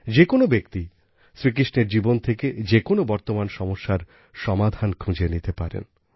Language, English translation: Bengali, Everyone can find solutions to present day problems from Shri Krishna's life